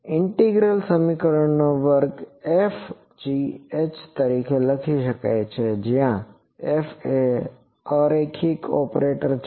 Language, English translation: Gujarati, A class of integral equations can be written as F is equal to h where F is a non linear operator